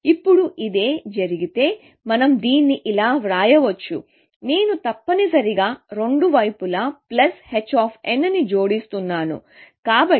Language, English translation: Telugu, Now, if this is the case we can write this as, I am just adding plus h of n to both sides, essentially